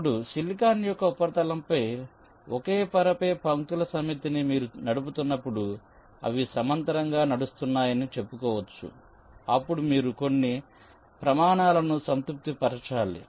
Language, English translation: Telugu, like this, let say now means on the surface of the silicon, when you run a set of lines on the same layer, let say they are running in parallel, then you have to satisfy certain criteria